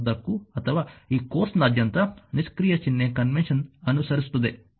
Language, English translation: Kannada, Throughout the text or throughout this course we will follow the passive sign convention